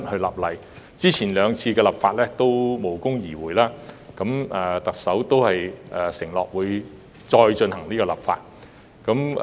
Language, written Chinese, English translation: Cantonese, 由於過去兩次的修例工作均無功而回，特首承諾會再次修例。, As the two previous amendment exercises ended in vain the Chief Executive has undertaken to make another attempt